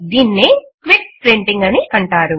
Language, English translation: Telugu, This is known as Quick Printing